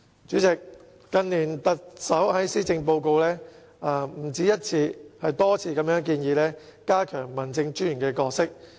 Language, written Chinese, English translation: Cantonese, 主席，近年特首在施政報告內不止一次，而是多次建議加強民政專員的角色。, President in recent years it has been mentioned not just once but many times in the policy addresses delivered by the Chief Executives that the role of District Officers would be enhanced